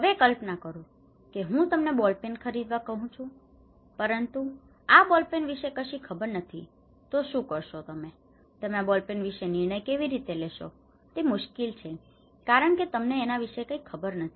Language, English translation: Gujarati, Now, imagine then I ask you to buy a ball pen okay, I ask you to buy a ball pen but you do not know about this ball pen, what do you do, how do you make a decision about this ball pen, is it difficult; it is very difficult to make a decision about this ball pen because I really do not know